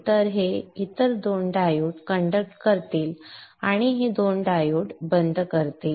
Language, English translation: Marathi, So these other two diodes will be conducting and will make these two diodes go off